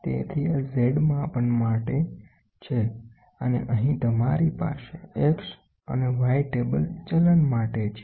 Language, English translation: Gujarati, So, this is for Z measurement and here you have a X and a Y table for movement